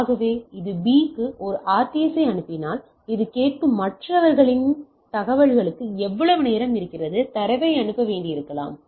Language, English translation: Tamil, So it is the time period like if it is A sends a RTS for B, then it is the other stations who are hearing this will wait for, will set there NAV that and it also in the RTS their information is there how much time it may required to transmit the data